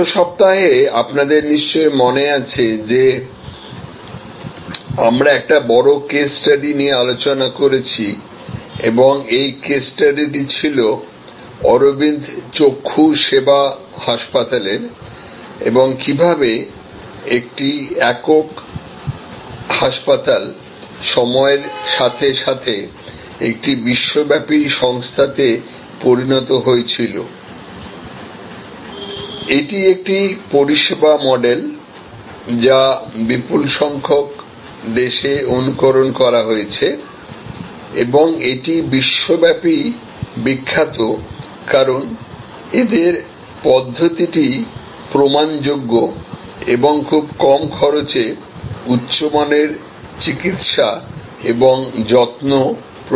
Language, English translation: Bengali, So, last week if you remember we took up a major case study and this case study was of the Aravind Eye Care Hospital and how that one single hospital grew overtime into a global organization, a service model that has been emulated in a large number of countries and is globally famous for it is provable approach and high quality medical care at low cost